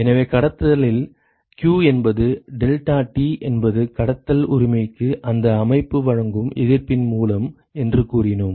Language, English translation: Tamil, So, in conduction, we said that q is deltaT by the resistance offered by that system for conduction right